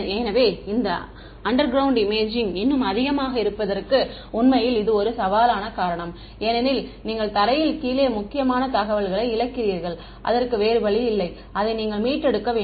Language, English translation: Tamil, So, this is actually one of the reasons why this underground imaging is even more challenging because you are losing important information below the ground, there is no way for you to recover it right